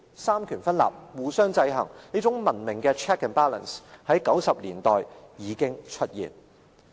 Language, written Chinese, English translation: Cantonese, 三權分立，互相制衡，這種文明的 check and balance， 在1990年代已經出現。, There was separation of executive legislative and judicial powers with checks and balances . Hence as we can see a civilized system of checks and balances has already taken shape as early as in the 1990s